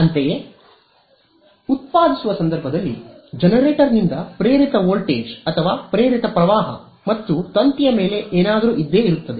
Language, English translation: Kannada, Similarly, in the generating case there is going to be an induced voltage or induced current by the generator and something on the wire